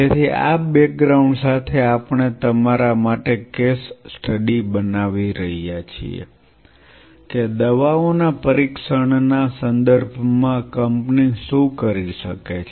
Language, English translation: Gujarati, So, with this background we were kind of you know developing a case study that, what a company can do in terms of testing the drugs